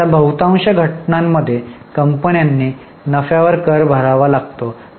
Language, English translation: Marathi, Now, most of the cases, companies have to pay tax on profits